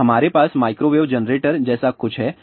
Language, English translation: Hindi, So, we have a something like a microwave generator